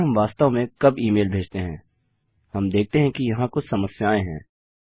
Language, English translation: Hindi, But when we do actually send the email, we can see that there are some problems